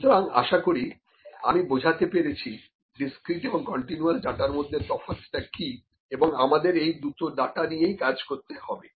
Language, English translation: Bengali, So, this is I think I am able to explain it what is the difference between discrete and continuous data and we can we have to deal with both the kinds of data